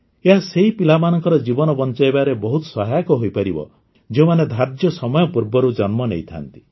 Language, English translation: Odia, This can prove to be very helpful in saving the lives of babies who are born prematurely